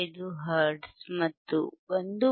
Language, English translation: Kannada, 15 hertz and 1